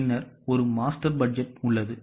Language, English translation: Tamil, Then there is a master budget